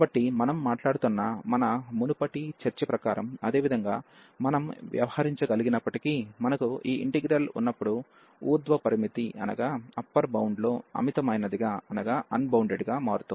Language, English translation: Telugu, So, we are not as per the our earlier discussion that we are talking about I mean though similarly we can deal, when we have this integral is becoming unbounded at the upper bound